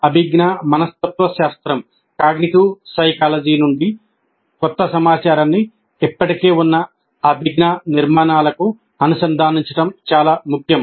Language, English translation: Telugu, From the cognitive psychology, it is well known that it is very important to link new information to the existing cognitive structures